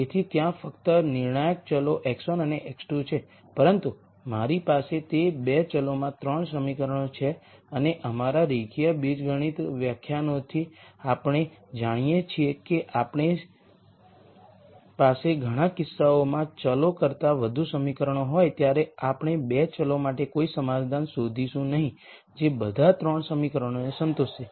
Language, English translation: Gujarati, So, there are only decision variables x 1 and x 2, but I have 3 equations in those 2 variables and from our linear algebra lectures we know that when we have more equations than variables in many cases we are not going to find a solution for the 2 variables which will satisfy all the 3 equations